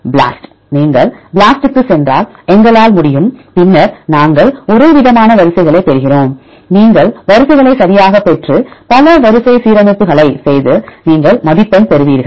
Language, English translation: Tamil, BLAST; where we can if you go to BLAST and then we get the homologous sequences and you get the sequences right and do the multiple sequence alignment and you get the score